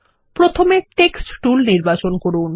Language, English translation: Bengali, First, lets select the Text tool